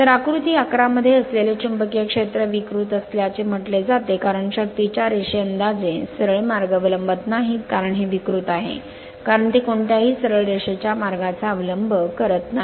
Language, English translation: Marathi, So, the magnetic field that is your in figure 11 is said to be distorted since the lines of force no longer follow approximately straight paths, because this is distorted, because it is not following any straight line path right